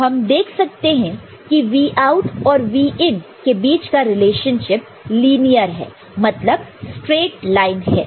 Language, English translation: Hindi, So, we have Vout and Vin relationship between them is linear straight line ok